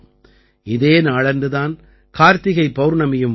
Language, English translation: Tamil, This day is also Kartik Purnima